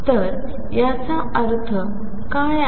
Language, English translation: Marathi, So, what is that mean